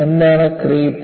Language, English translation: Malayalam, What is Creep